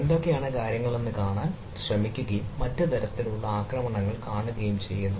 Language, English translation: Malayalam, right, so we try to see that what are the things and try to see that what type of other attacks